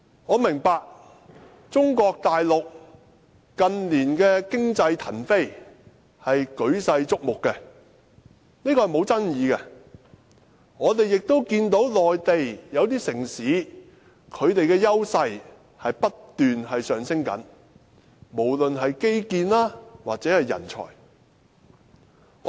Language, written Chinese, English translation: Cantonese, 我明白中國大陸近年經濟騰飛，舉世矚目，這是沒有爭議的，我們也看到內地一些城市的優勢不斷上升，無論是基建或人才。, I know that the economy take - off of China in recent years has caught world - wide attention . This is indisputable . We also notice that some Mainland cities have been gaining an edge on infrastructures and manpower